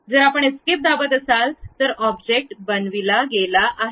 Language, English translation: Marathi, So, if you are pressing escape, the object has been constructed